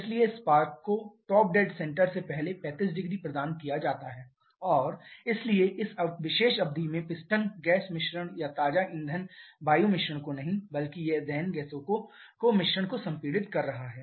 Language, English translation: Hindi, So, the spark is provided 35 degree below before that top dead center and therefore over this particular span the piston is compressing not the gas mixture or fresh fuel air mixture rather it is the mixture of combustion gases